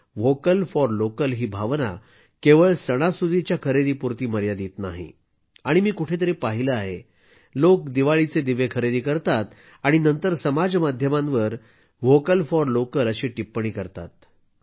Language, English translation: Marathi, But you will have to focus on one more thing, this spirit for Vocal for Local, is not limited only to festival shopping and somewhere I have seen, people buy Diwali diyas and then post 'Vocal for Local' on social media No… not at all, this is just the beginning